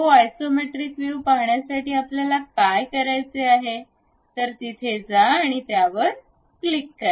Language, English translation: Marathi, To visualize isometric view, what we have to do, go here, click that one